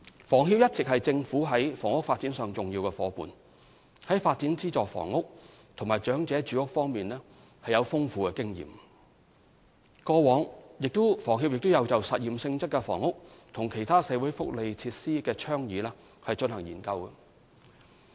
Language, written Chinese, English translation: Cantonese, 房協一直是政府在房屋發展上的重要夥伴，在發展資助房屋及長者住屋方面具有豐富經驗，過往亦有就實驗性質的房屋及其他社會福利設施的倡議進行研究。, Experienced in the development of subsidized and elderly housing HKHS has long been an important partner of the Government in housing development and has carried out studies on experimental initiatives relating to housing and other social welfare facilities in the past